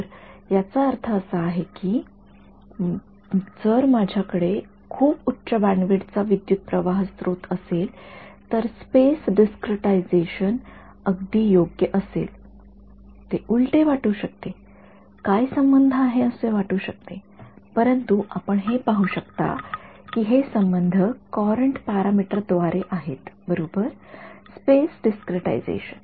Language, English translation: Marathi, So, implications is that if I have a very high bandwidth current source, space discretization must be very fine right it sounds counter it sounds like what is the relation, but you can see the relation is via the courant parameter right space discretization